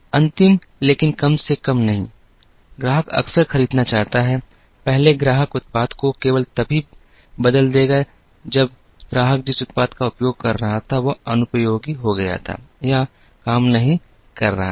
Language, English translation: Hindi, Last but not the least, the customer wants to buy frequently, earlier the customer would change the product only when the product that the customer was using became unusable or was not working